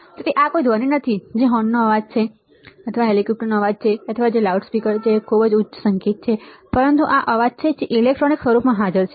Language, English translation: Gujarati, So, this is not some noise which is horn noise or which is a chopper noise or which is some honking right or which is some loudspeaker or very loud music, but these are the noises which are present in the electronic form